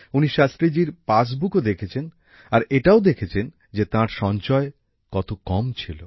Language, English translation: Bengali, He also saw Shastri ji's passbook noticing how little savings he had